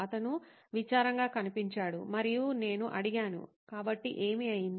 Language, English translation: Telugu, He looked sad and I said, so what’s up